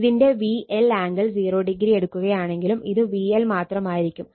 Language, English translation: Malayalam, So, if you take V L angle 0 also, it will be V L only right